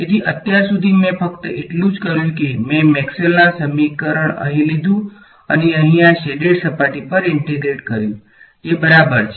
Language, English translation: Gujarati, So, so far all I did is I took my Maxwell’s equation over here and integrated over this shaded surface over here that is fine right